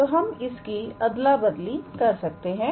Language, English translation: Hindi, So, we can actually exchange them